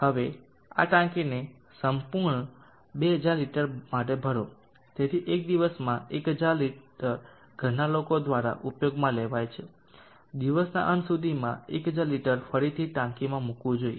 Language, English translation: Gujarati, Now fill up this tank for complete 2000 liters so in a day 100l liter is utilized by then household, 1000 liter should be put back into the tank by the end of the day, so that is the logic that we will be using